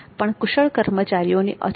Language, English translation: Gujarati, There is scarcity of skilled personnel